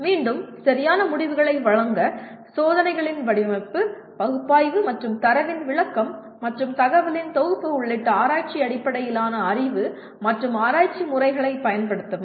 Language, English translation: Tamil, Again, use research based knowledge and research methods including design of experiments, analysis, and interpretation of data and synthesis of the information to provide valid conclusions